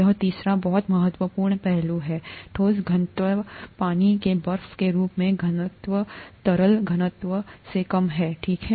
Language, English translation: Hindi, This third one is a very important aspect, the solid density; the density of ice form of water is lower than the liquid density, okay